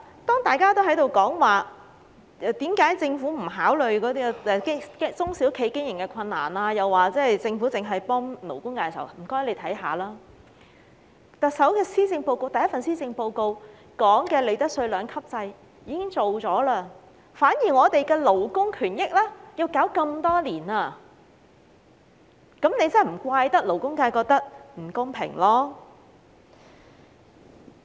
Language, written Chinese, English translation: Cantonese, 當大家在討論為何政府不考慮中小企的經營困難，又說政府只是幫勞工界時，請他們看看特首的首份施政報告，當中提到的利得稅兩級制已經落實，反而我們的勞工權益卻搞了這麼多年，政府真的不能責怪勞工界覺得不公平。, When they accused the Government of not considering the operational difficulties of SMEs and helping only the labour sector they should take a look at the Chief Executives maiden Policy Address as the two - tier profits tax system mentioned therein has already been implemented . On the other hand our years of fight for labour rights have not yet ended . The Government really cannot blame the labour sector for the feeling of unfairness